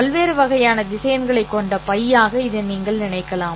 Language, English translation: Tamil, You can think of this as kind of a bag which consists of different kinds of vectors